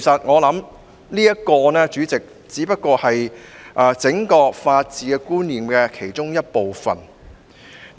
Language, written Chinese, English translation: Cantonese, 我認為這只是整個法治觀念的其中一部分。, In my view this is only one component of the entire rule of law concept